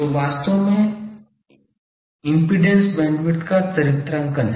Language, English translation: Hindi, So, actually that is a characterization of impedance bandwidth